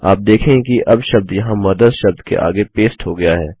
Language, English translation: Hindi, You see that the word is now pasted here next to the word MOTHERS